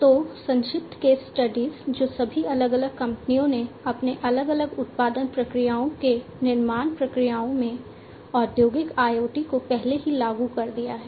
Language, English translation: Hindi, So, some brief case studies, we will go through which all different companies have already implemented Industrial IoT in their different, different, you know production processes manufacturing processes and so on